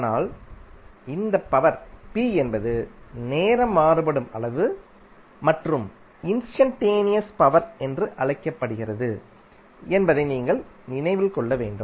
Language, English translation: Tamil, But you have to keep in mind this power p is a time varying quantity and is called a instantaneous power